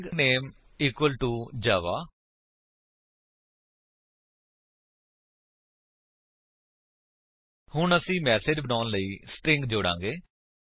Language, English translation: Punjabi, String name equal to Java Now, well add the strings to make a message